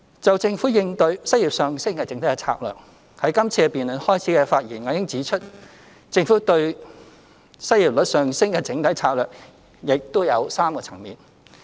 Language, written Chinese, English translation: Cantonese, 就政府應對失業上升的整體策略，在今次辯論開始時的發言，我已指出，政府應對失業率上升的整體策略亦有3個層面。, On the overall strategy of the Government to cope with rising unemployment as I already pointed out in the beginning of this debate the Governments overall strategy is to tackle rising unemployment at three levels . The first level is the creation of employment opportunities